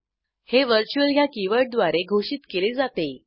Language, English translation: Marathi, It is declared with virtual keyword